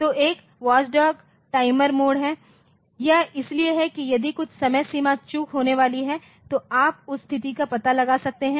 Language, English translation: Hindi, So, watchdog timer is it is for if some deadline miss is going to occur you can detect that situation